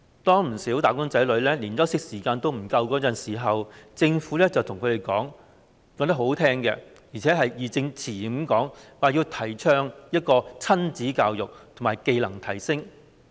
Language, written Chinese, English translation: Cantonese, 當不少"打工仔女"連休息時間也不足夠時，政府卻把話說得很動聽，而且義正詞嚴，說要提倡親子教育和技能提升。, While many wage earners are suffering from insufficient rest time the Government makes high - sounding remarks in a seemingly righteous manner that it is promoting parent - child education and skills upgrading